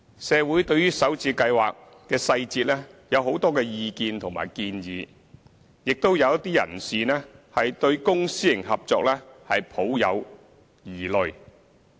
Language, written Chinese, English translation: Cantonese, 社會對於首置計劃細節有很多意見和建議，亦有一些人士對公私營合作抱有疑慮。, There are many views and suggestions in the community in respect of the details of the Starter Homes scheme and some have misgivings about the public - private partnership